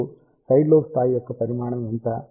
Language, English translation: Telugu, Now, what is the magnitude of side lobe level